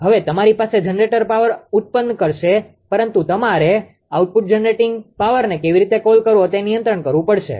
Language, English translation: Gujarati, Now, you have the generating will generate power, but you have to control the how to call output generating power